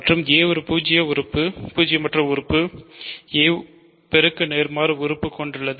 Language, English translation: Tamil, So, and a is a non zero element, a has a multiplicative inverse right